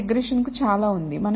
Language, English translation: Telugu, So, there was quite a lot to regression